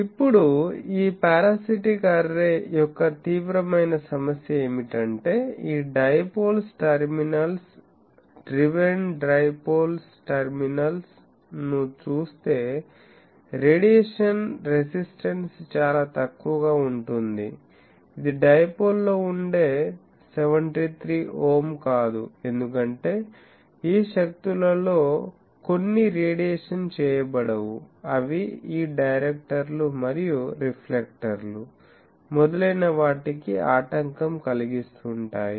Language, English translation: Telugu, Now, the serious problem of a this parasitic array is, that the radiation resistance if we look at this dipoles terminals, the driven dipoles terminal that becomes quite less, it is not the 73 ohm that we get for a dipole; that is because some of this energies they are not radiated, they are getting obstructed by this directors and reflectors etc